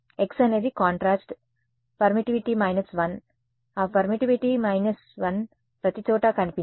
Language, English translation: Telugu, x is contrast permittivity minus 1, that permittivity minus 1 appeared everywhere